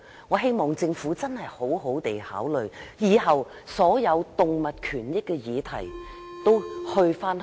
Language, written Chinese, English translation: Cantonese, 我希望政府認真考慮以後把所有有關動物權益的事宜轉交環境局處理。, I hope that the Government will seriously consider transferring all animal rights - related issues to the Environment Bureau in future